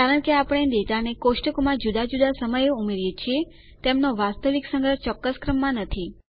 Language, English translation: Gujarati, Because, we add data to the tables at different times, their actual storage is not in a particular order